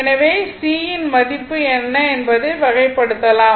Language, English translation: Tamil, So, you can kind out what is the value of C right